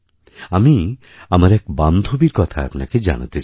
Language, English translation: Bengali, I want to tell you about a friend of mine